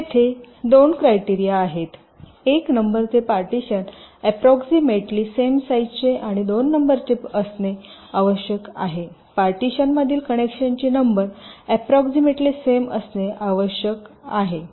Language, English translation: Marathi, number one, the partitions need to be approximately of the same size, and number two, the number of connections between the partitions has to be approximately equal